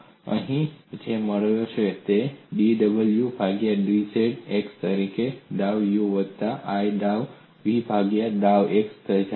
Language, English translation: Gujarati, So what you get here is dw by dz becomes equal to dou u by dou x plus i dou v by dou x